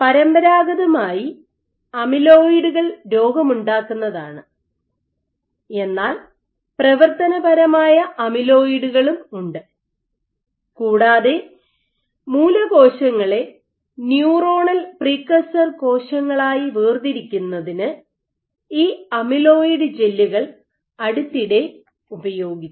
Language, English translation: Malayalam, So, though amyloid has traditionally been associated with disease causing, but there are functional amyloids also and these amyloid gels have recently been used for differentiating stem cells into neuronal precursor cells